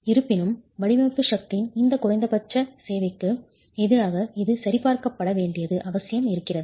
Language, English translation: Tamil, However, it is essential that it is verified against this minimum requirement of design force itself